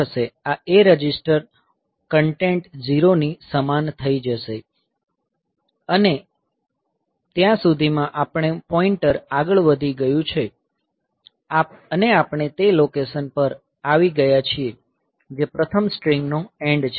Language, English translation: Gujarati, This A register content will become equal to 0 and by that time our pointer has advanced and we have come to the location which is the end of the first string